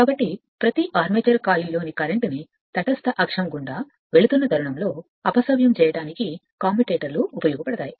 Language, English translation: Telugu, So, the commutators serve to reverse the current in each armature coil at the instant it passes through the neutral axis